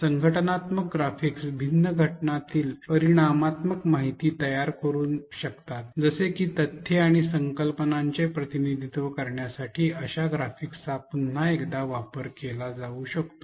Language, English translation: Marathi, Organizational graphics can make quantitative information between different entities such graphics can be used once again to represent facts and concepts